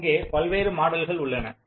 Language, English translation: Tamil, there are various models available